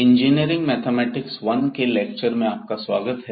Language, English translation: Hindi, Welcome to the lectures on Engineering Mathematics I